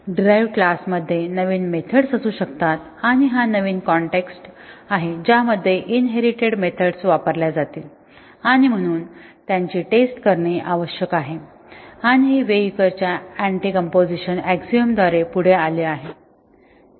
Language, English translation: Marathi, There can be new methods in the derived class and that is the new context with which the inherited methods will be used and therefore, they need to be tested and this is what follows from the Weyukar's Anticomposition axiom